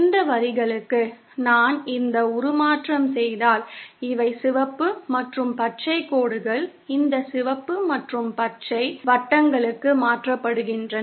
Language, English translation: Tamil, If for these lines if I do this transformation, then these are red and green lines are transformed to these circles, these red and these green circles